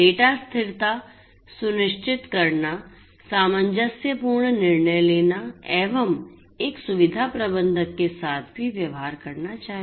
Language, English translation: Hindi, Ensuring data consistency, making harmonized decisions is what a facility manager should also deal with